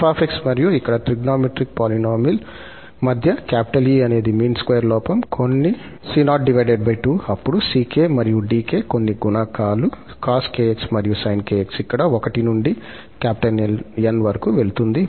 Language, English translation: Telugu, E is the mean square error between this f and a trigonometric polynomial here, some c0 by 2, then ck and dk, some coefficients cos kx sin kx and k goes from 1 to N